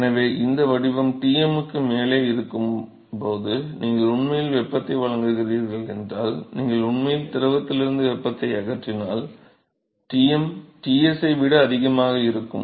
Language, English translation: Tamil, So, Tm is going to be higher than Ts if you are actually removing heat from the fluid if you are actually supplying heat when this profile will going to be above the Tm that is all